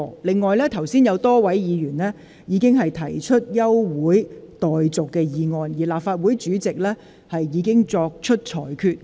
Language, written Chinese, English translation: Cantonese, 此外，剛才有多位議員要求動議休會待續議案，立法會主席已就他們的要求作出裁決。, Moreover earlier a number of Members have requested to move an adjournment motion and the President has already made his ruling in response to their requests